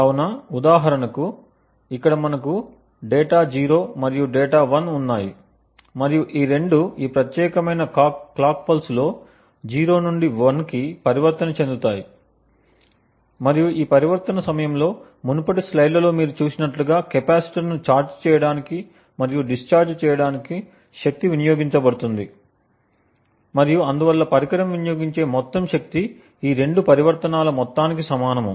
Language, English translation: Telugu, So, for example over here we have data 0 and data 1 and both of them transition from 0 to 1 in this particular clock pulse and as you have seen in the previous slides during this transition there is a power that is consumed to charge and discharge the capacitor and therefore the total power consumed by the device is the sum of both these transitions